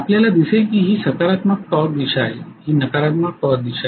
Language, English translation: Marathi, You see that this is positive torque direction, this is negative torque direction